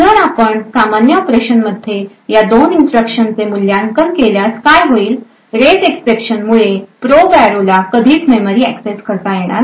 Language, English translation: Marathi, If we evaluate these two instructions in a normal operation what would happen is that due to the raise exception this memory access to the probe array would never occur